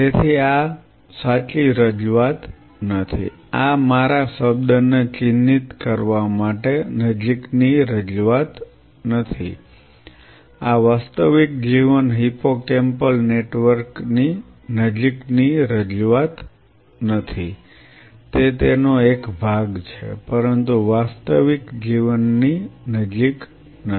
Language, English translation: Gujarati, So, this is not the true representation this is not a closer representation to not mark my word, not a closer representation of a real life hippocampal network yes, it is part of it, but not close to the real life ok